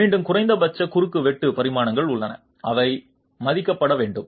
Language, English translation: Tamil, Again there are minimum cross sectional dimensions which must be respected